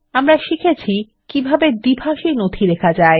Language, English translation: Bengali, We have seen how to type a bilingual document